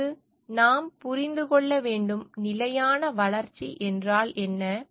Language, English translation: Tamil, And for that, we need to understand: what is sustainable development